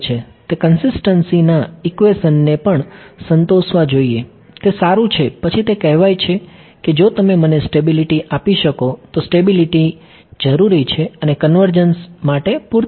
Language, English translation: Gujarati, It also should satisfy the consistency equations, that is fine then its saying that if you can give me stability, stability is necessary and sufficient for convergence ok